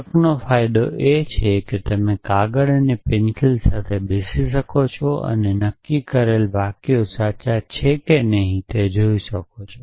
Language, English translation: Gujarati, So, the promise of logic is that you can sit down with paper and pencil and decide whether the given sentences true or not essentially